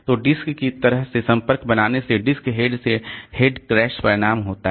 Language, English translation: Hindi, So, head crash results from disc head making contact with the disk surface